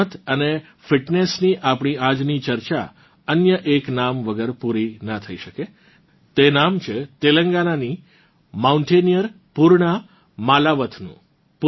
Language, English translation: Gujarati, Today's discussion of sports and fitness cannot be complete without another name this is the name of Telangana's mountaineer Poorna Malavath